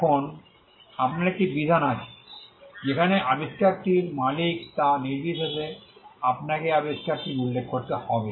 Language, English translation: Bengali, Now, you also have a provision, where you need to mention the inventor, regardless of who owns the invention